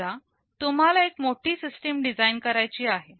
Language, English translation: Marathi, Suppose you have a large system to be designed